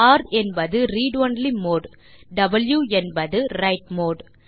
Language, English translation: Tamil, r stand for read only mode and w stands for write mode